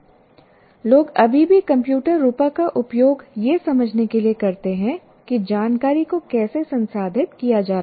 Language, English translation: Hindi, People still use the computer metaphor to explain how the information is being processed